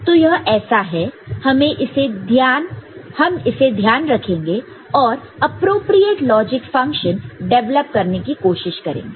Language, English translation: Hindi, So, this is so, we will keep in our mind and try to develop the appropriate logic function for this